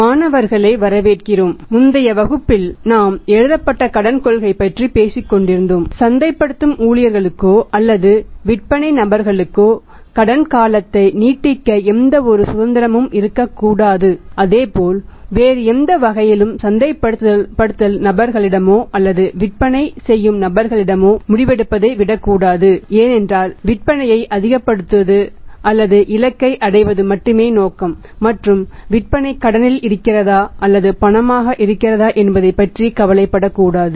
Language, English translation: Tamil, Welcome students so in the previous class we were talking about the written Credit Policy that there should not be any liberty given to the marketing staff out to the sales people to extend any amount of the credit period as well as the say every any other kind of the decision making that should not be left to the marketing people out to the sales people because the objective is only to maximize the sales or to achieve the target and not to bother about that whether the sales are on cash from the credit